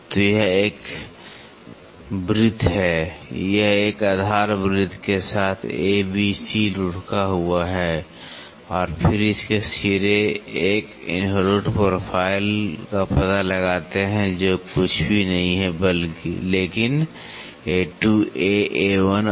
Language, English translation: Hindi, So, this is a circle this is A B C A B C is rolled along a base circle, then its ends trace an involute profile which is nothing, but A 2 A A 1 and C 2 C C 1